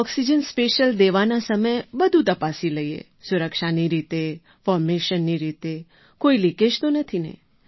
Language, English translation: Gujarati, During oxygen special time I observed all safety wise, formation wise and for any leakage